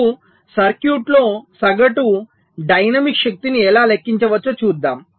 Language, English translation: Telugu, how we can calculate the average dynamic power in a circuit